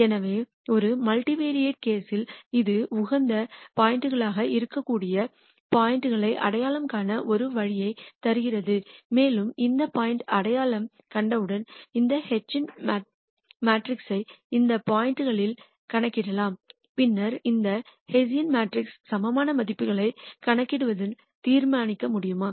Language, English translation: Tamil, So, in a multivariate case it gives us a way to identify points that could be optimum points and once we identify those points we can compute this hessian matrix at those points and then computation of the eigenvalues of this hessian matrix would allow us to determine whether the point is a maximum point or a minimum point and so on